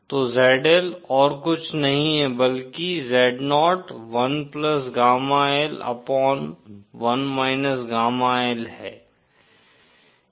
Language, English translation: Hindi, So then ZL is nothing but Zo upon 1+ gamma L upon 1 gamma L